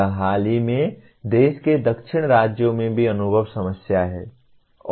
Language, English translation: Hindi, This is also recently experienced problem in the southern states of the country